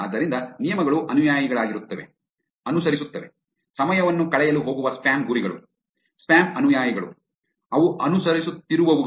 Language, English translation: Kannada, So, the terms are going to be follower, following, spam targets where time is going to be spent, sent, spam followers, those are the ones which are going to be following